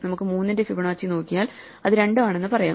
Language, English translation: Malayalam, So, we can just look up Fibonacci of 3 and say oh, it is two